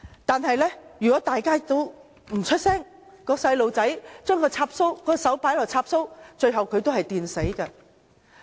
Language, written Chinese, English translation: Cantonese, 但是，如果大家也不作聲，小孩把手插入插座，最後也會被電死。, If we all remain silent a child who puts his hand in a socket will eventually be electrocuted